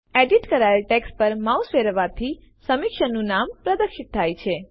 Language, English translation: Gujarati, Of course, hovering the mouse over the edited text will display the name of the reviewer